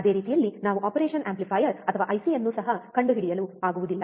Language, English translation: Kannada, Same way we cannot also find operation amplifier or IC which is ideal